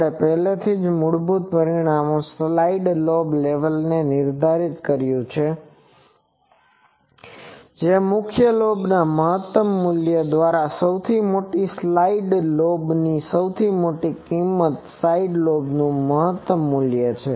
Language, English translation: Gujarati, We have already defined side lobe level in the basic parameters that is the maximum value of largest side lobe largest value side lobe by the maximum value of main lobe